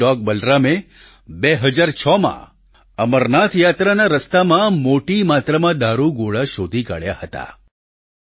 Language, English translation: Gujarati, One such canine named Balaram sniffed out ammunition on the route of the Amarnath Yatra